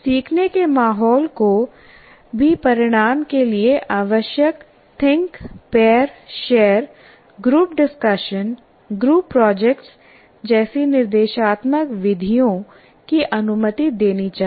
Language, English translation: Hindi, And the learning environment also should permit instructional methods like think pair, share, group discussion, group projects as required by the outcomes